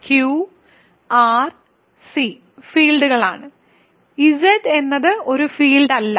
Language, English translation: Malayalam, So, Q R C are fields Z is not a field, right